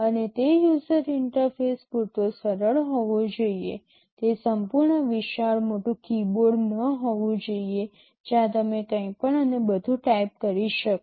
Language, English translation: Gujarati, And user interface has to be simple enough, it should not be a full big large keyboard where you can type anything and everything